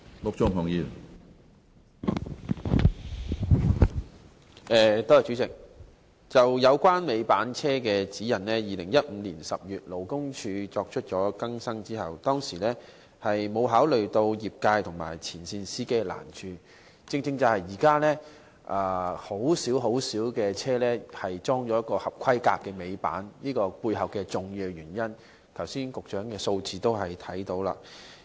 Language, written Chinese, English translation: Cantonese, 有關貨車尾板的《指引》，勞工處在2015年10月作出更新時，並沒有考慮到業界和前線司機的難處，這是現時只有很少貨車已裝設合規格尾板的一個重要原因，這從剛才局長提供的數字亦可以看到。, When LD revised GN in October 2015 it did not take into consideration the difficulties the industry and frontline drivers would encounter . This is an important reason why to date very few goods vehicles have installed a compliant tail lift as can also be seen in the data the Secretary just cited